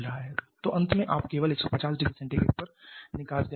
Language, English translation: Hindi, So, finally you are having exhaust gas leaving maybe only at 150 degree Celsius